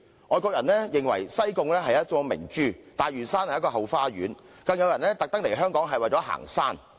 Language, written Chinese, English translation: Cantonese, 外國人認為西貢是一顆明珠，大嶼山是一個後花園，更有人專門來港行山。, Foreign visitors consider Sai Kung a pearl and Lantau a garden in our backyard and some of them even specifically come to Hong Kong for hiking